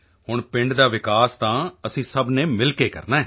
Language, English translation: Punjabi, Now we all have to do the development of the village together